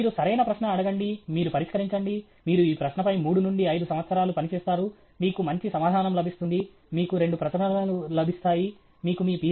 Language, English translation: Telugu, You ask the right question, you solve, you work on this question for three to five years, you get a good answer, you get a couple of publications, you get your Ph